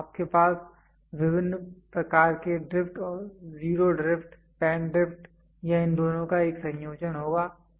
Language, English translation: Hindi, So, you will have different types of drift zero drift, span drift or a combination of these two